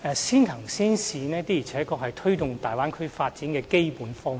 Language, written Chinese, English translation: Cantonese, 先行先試的確是推動大灣區發展的基本方略。, Early and pilot implementation is indeed the basic strategy for promoting the development of the Bay Area